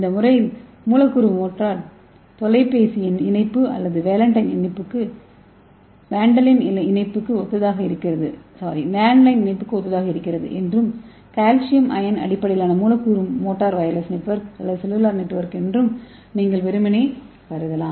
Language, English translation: Tamil, You can simply assume that this molecular motor is similar to your telephone connection, landline connection and this calcium ions based wireless is your similar to your cellular phone, okay